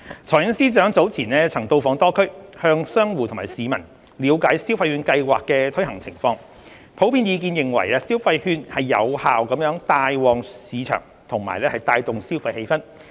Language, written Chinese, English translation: Cantonese, 財政司司長早前曾到訪多區，向商戶及市民了解消費券計劃的推行情況，普遍意見認為消費券有效帶旺市場及帶動消費氣氛。, The Financial Secretary has visited a number of districts earlier to learn about the implementation of the Scheme from the merchants and public . It is generally considered that the consumption vouchers are effective in boosting the market and stimulating consumer sentiment